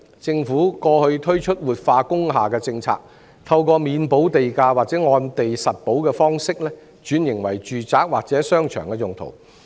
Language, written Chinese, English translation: Cantonese, 政府過去推出活化工廈政策，透過免補地價或按地實補的方式，轉型為住宅或商場用途。, The Government previously introduced the policy on revitalization of industrial buildings to convert them into residential buildings or shopping malls through exemption of land premium or payment of premium for what you have built